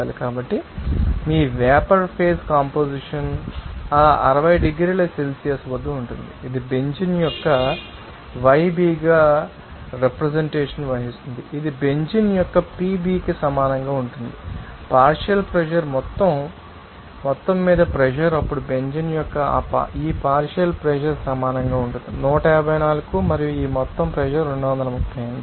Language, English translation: Telugu, So, your vapor phase composition will be at that 60 degree Celsius that can be you know represented as yB of Benzene that will be equal to PB of Benzene partial pressure opinion out of total you know that the pressure then we can substitute this partial pressure of Benzene which is equal to 154 and this total pressure is 238